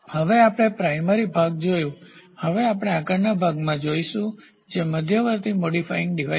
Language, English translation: Gujarati, So, now we have seen the primary part now we will move to the next part which is the intermediate modifying device